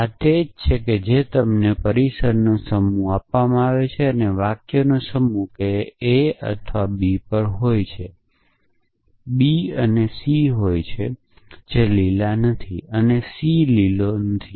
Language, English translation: Gujarati, So, this is what is given to you the set of premises, the set s of sentences that a is on b, b is on c, a is green and c is not green